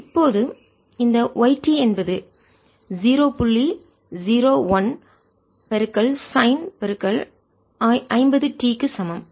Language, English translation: Tamil, so this is going to be point zero, one, sine of fifty